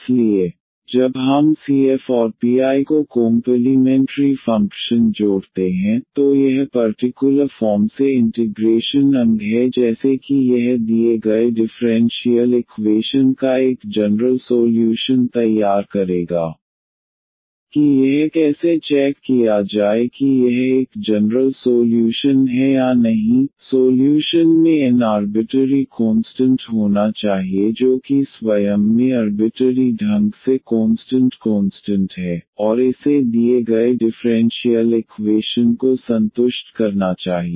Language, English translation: Hindi, So, when we add the C F and p I the complimentary function plus this particular integral like here this will form a general solution of the given differential equation how to check that this is a general solution or not the solution should have n arbitrary constants that u itself has arbitrary n arbitrary constants and it should satisfy the given differential equation